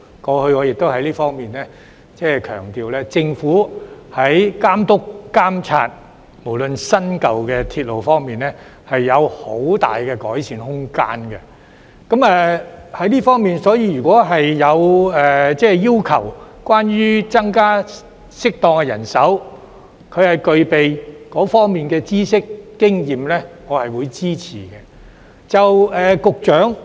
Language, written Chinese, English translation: Cantonese, 過去，我亦曾強調政府在監督、監察新、舊鐵路方面也有很大改善空間，所以如果政府要求適當增加具備相關知識和經驗的人手，我是會支持的。, In the past I have stressed that there is much room for improvement in the Governments supervision and monitoring of the new and existing railways . Hence if the Government requests an appropriate increase in manpower with the relevant knowledge and experience I will give my support